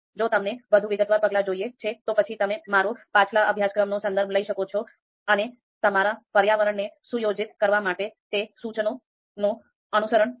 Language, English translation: Gujarati, So if you want more detailed step, you can obviously refer to my previous course and follow those instructions to setup your environment